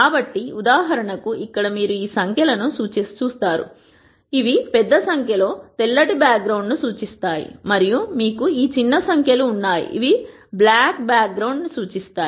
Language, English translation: Telugu, So, for example, here you see these numbers which are large numbers which represent white back ground and you have these small numbers which represent black background